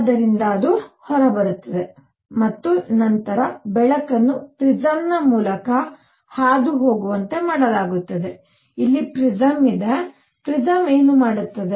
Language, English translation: Kannada, From which it comes out and then, the light is made to pass through a prism, here is a prism; what does the prism do